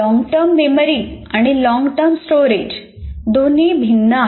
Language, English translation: Marathi, And here long term memory and long term storage are different